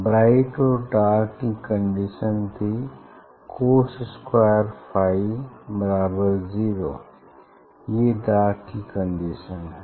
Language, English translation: Hindi, condition for b and dark was this cos square phi equal to 0; that is a condition for dark